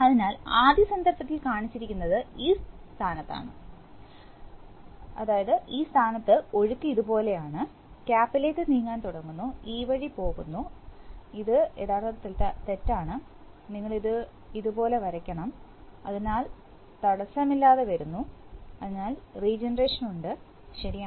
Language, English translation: Malayalam, And, so in the first case, in this position that is shown, flow is like this, like this, to the cap and starts moving, goes this way and this is wrong actually, you should draw it like this, so comes freely and there is regeneration, right